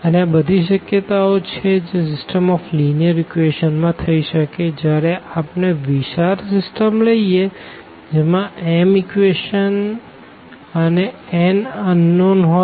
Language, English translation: Gujarati, And, these all are the possibilities which can happen for a system of linear equations when we consider a large system of m equations with n unknowns